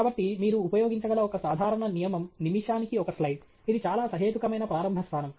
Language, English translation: Telugu, So, one general rule you can use rule of thumb is a slide a minute; that’s a very reasonable starting point